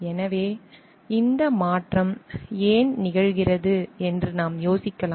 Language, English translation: Tamil, So, we can we may wonder like why this transition happen